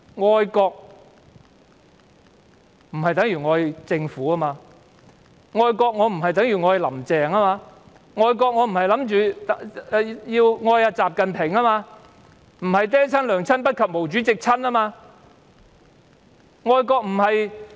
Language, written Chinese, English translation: Cantonese, 愛國不等於愛政府，愛國不等於愛"林鄭"，愛國亦不等於愛習近平，並非"爹親娘親不及毛主席親"。, Loving the country does not mean loving the Government; loving the country does not mean loving Carrie LAM; loving the country does not mean loving XI Jinping; it is not true that Chairman MAO is dearer than parents . We cannot rely on punishment imprisonment etc